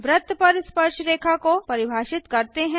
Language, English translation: Hindi, lets define tangents to a circle